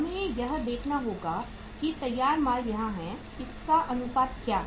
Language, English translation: Hindi, We will have to see that and finished goods are here, ratio of this